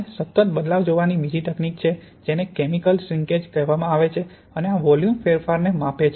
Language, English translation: Gujarati, Second technique we have to look at continuous changes is what is called chemical shrinkage and this measures the volume changes